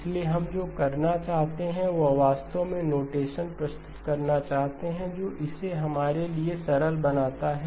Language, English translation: Hindi, So what we would like to do is actually introduce notation, which makes it makes it simpler for us